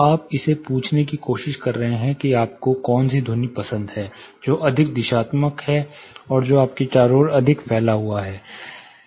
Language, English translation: Hindi, So, kind of you are trying to ask him which sound you prefer, which is more directional and which is more diffused around you